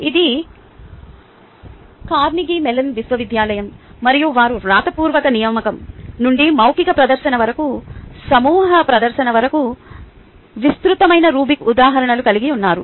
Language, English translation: Telugu, this is by carnegie mellon university and they have a wide range of ah rubric examples ranging from a written assignment to oral presentation to a group presentation